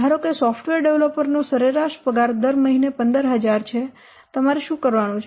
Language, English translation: Gujarati, Assume that the average salary of a software developer is 15,000 per month